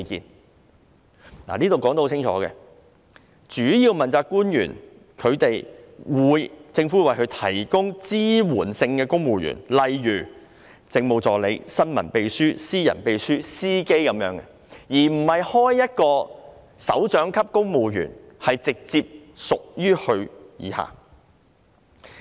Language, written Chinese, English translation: Cantonese, "這裏說得很清楚，政府會為主要問責官員提供支援性的公務員，例如政務助理、新聞秘書、私人秘書及司機，而不是開設一個首長級公務員職位直接隸屬於他。, It is said very clearly here that the Government will assign civil servants such as Administrative Assistants Press Secretaries Personal Secretaries and Drivers to provide support to principal accountability officials rather than creating a directorate civil service post in direct subordination to an accountability official